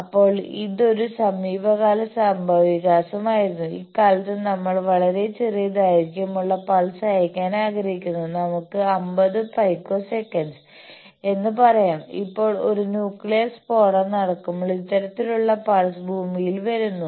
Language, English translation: Malayalam, Then this was a fairly recent development that nowadays we want to send very short pulse of the duration of; let us say 50 picoseconds, now, when a nuclear explosion takes place these type of pulse come to earth